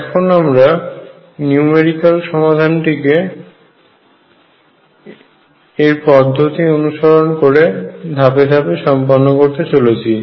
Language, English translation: Bengali, So, let me take you through he numerical solution procedures step by step